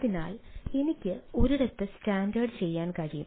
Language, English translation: Malayalam, right, so that i can have standardized in one place